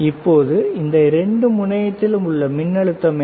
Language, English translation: Tamil, So now, what is the voltage across these two terminal